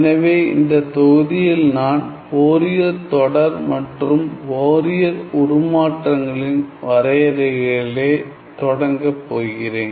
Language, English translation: Tamil, So, in this module, I am going to start with the definition of Fourier series and the definition of Fourier transform